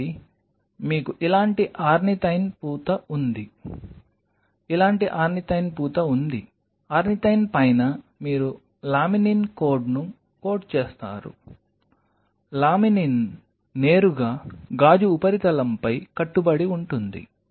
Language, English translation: Telugu, So, you have a coating of ornithine something like this, coating of ornithine like this, on top of ornithine you code the laminin do not be so confident that laminin will directly adhere to the substrate of the glass